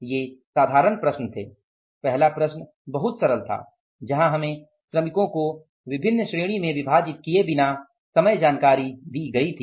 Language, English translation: Hindi, First problem was very simple where we were given the composite information without dividing it into different category of the workers